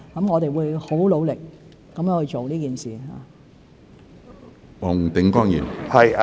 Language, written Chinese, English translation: Cantonese, 我們會很努力做這件事。, We will work very hard to do this